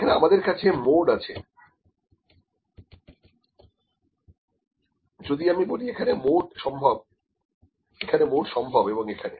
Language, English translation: Bengali, If I say Mo mode is possible here, mode is possible here and here